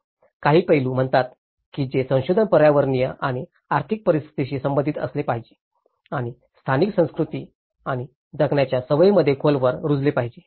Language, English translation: Marathi, Some of the aspects says the revision should be relevant to environmental and economic circumstances and deeply rooted in local cultures and living habits